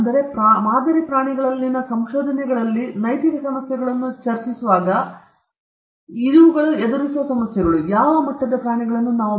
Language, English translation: Kannada, So, these are some of the issues which we have tackle when we discuss ethical issues in research in model animals